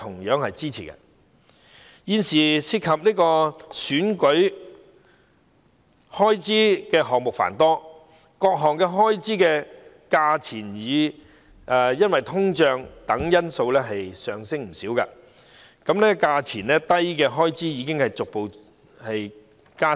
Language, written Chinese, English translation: Cantonese, 現時涉及選舉開支的項目繁多，各項開支因通脹等因素而上升不少，數額低的開支已逐步減少。, Currently election expenses involve numerous items . Various expenses have increased considerably due to factors such as inflation hence expenditure items involving a small amount have become fewer and fewer